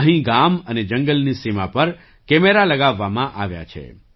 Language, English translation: Gujarati, Here cameras have been installed on the border of the villages and the forest